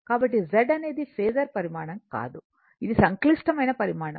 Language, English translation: Telugu, So, Z is not a phasor quantity right, it is a complex quantity